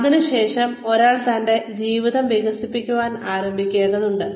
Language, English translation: Malayalam, Then, one needs to start, developing one's life